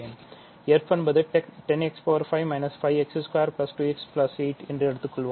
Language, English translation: Tamil, Let us say f is 10 x 5 minus 5 x square plus 2 x plus 8 ok